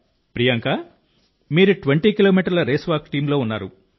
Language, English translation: Telugu, Priyanka, you were part of the 20 kilometer Race Walk Team